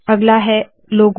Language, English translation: Hindi, The next one is logo